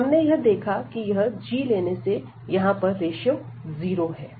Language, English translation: Hindi, So, we have seen by taking this g that this ratio here is 0